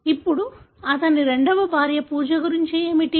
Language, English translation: Telugu, Now, what about Pooja, his second wife